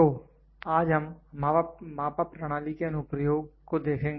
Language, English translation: Hindi, So, today we will see the application of measured system